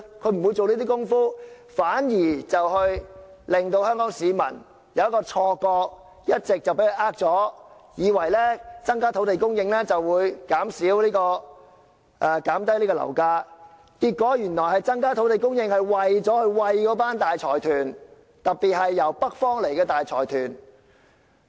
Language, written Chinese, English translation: Cantonese, 它不會做這些工夫，它一直欺騙香港市民，令他們產生錯覺，以為增加土地供應後，樓價便會下跌，結果增加土地供應原來是為了餵飽大財團，特別是來自北方的大財團。, No it will not and it has all along been deceiving the people of Hong Kong giving them an illusion that property prices will fall in tandem with an increase in land supply . But it eventually turns out that an increase in land supply is meant to feed up the major consortiums especially those coming from the North